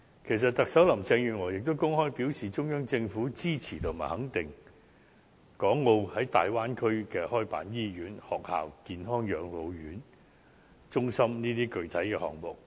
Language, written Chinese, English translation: Cantonese, 其實特首林鄭月娥也公開表示，中央政府支持和肯定港澳在大灣區開辦醫院、學校、健康養老中心等項目。, In fact the Chief Executive Mrs Carrie LAM stated publicly that the Central Government supported and approved of Hong Kong and Macao in making attempts to run projects such as hospitals schools integrated medical and elderly care service centres in the Bay Area